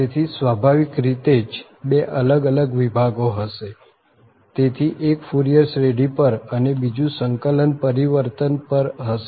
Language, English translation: Gujarati, So, there will be naturally 2 different sections so 1 will be on Fourier series and other 1 on integral transform